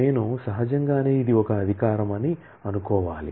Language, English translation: Telugu, I am naturally will have to think of this is an authorization